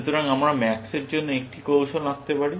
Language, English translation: Bengali, So, we can draw a strategy for max